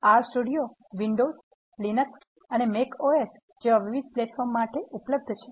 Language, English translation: Gujarati, R Studio is also available for various platforms, such as windows, line x and macOS